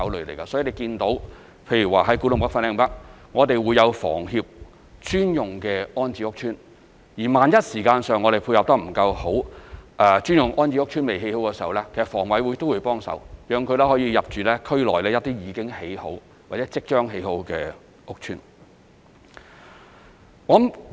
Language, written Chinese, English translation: Cantonese, 例如在古洞北/粉嶺北，我們會有香港房屋協會專用的安置屋邨；萬一時間配合得不夠好，專用安置屋邨尚未建成，香港房屋委員會亦會幫忙，讓市民可以入住區內一些已經建成或即將建成的屋邨。, Take Kwu Tung NorthFanling North as an example there are dedicated rehousing estates developed by the Hong Kong Housing Society . If such estates cannot be completed on a timely basis the Hong Kong Housing Authority will help rehouse residents to public rental housing estates which are readily available or will be completed soon